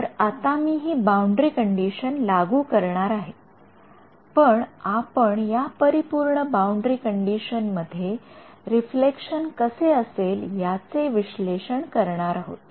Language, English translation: Marathi, So, I am and I am going to impose this boundary condition on that but, what we are doing now is an analysis of what is the reflection due to this in perfect boundary condition